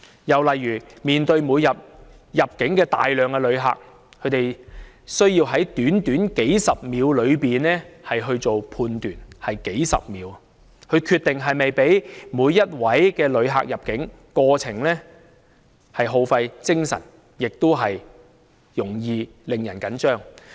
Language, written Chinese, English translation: Cantonese, 又例如他們每天面對大量的入境旅客，他們需要在短短數十秒間進行判斷，只有數十秒時間決定是否讓某位旅客入境，過程既耗費精神，也容易使人緊張。, Another example is that with a host of visitors entering Hong Kong every day they are required to make a judgment as to whether a visitor should be allowed entry to the territory within some 10 seconds yes just some 10 seconds